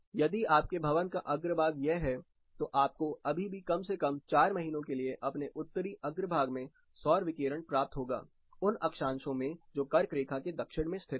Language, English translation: Hindi, If your building facade is this, you will still get solar radiation in your Northern facade for at least four months for latitudes south of tropic of cancer